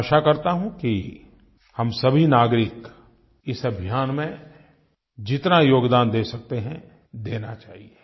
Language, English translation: Hindi, I expect that all of us citizens should contribute as much as we can in the cleanliness mission